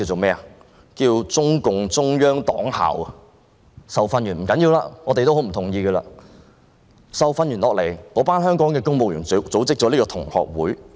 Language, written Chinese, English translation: Cantonese, 派公務員到大陸受訓也不要緊——雖然我們極不同意——但受訓後，那些香港公務員組織了這個同學會。, It is okay to send civil servants to the Mainland for training―we strongly disagree though―but after the training those Hong Kong civil servants organized this alumni association